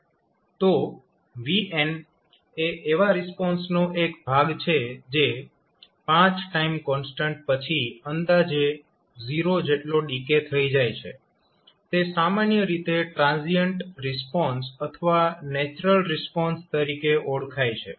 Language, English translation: Gujarati, So, as vn is part of the response which decays to almost 0 after 5 time constants it is generally termed as transient response or the natural response